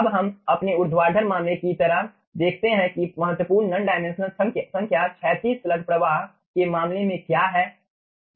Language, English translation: Hindi, okay, now let us see, just like our ah vertical case, what are the important non dimensional number in case of horizontal slug flow